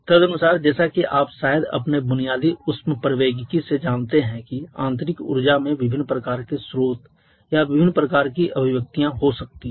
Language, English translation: Hindi, Accordingly like you probably know from your basic thermodynamics that internal energy can have different kind of sources or different kinds of manifestation